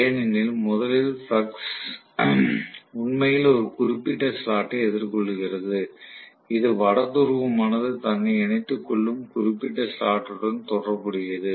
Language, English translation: Tamil, Because first the flux actually faces, you know a particular slot, corresponding to particular slot the North Pole is aligning itself